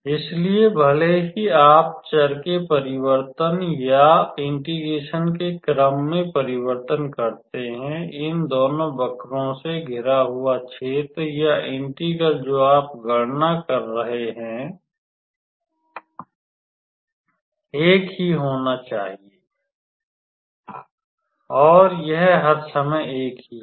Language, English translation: Hindi, So, even if you do the change of variables or change of order of integration, the area of the region bounded by these two curves or the integral which you are evaluating has to be same and it is same all the time